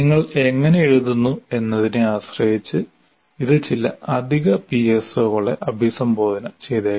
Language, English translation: Malayalam, Depending on how you write, it may address maybe additional PSOs